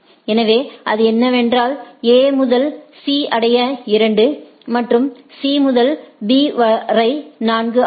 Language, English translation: Tamil, So, what it what it say is that in order to reach A to C is 2 and C to B is 4